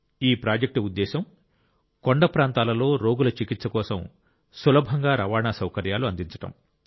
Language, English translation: Telugu, The purpose of this project is to provide easy transport for the treatment of patients in hilly areas